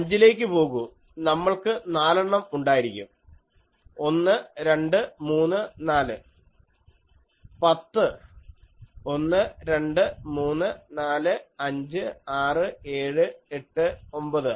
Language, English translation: Malayalam, Go to five, so we should have four 1, 2, 3, 4; ten, 1, 2, 3, 4, 5 1, 2, 3, 4, 5, 6, 7, 8, 9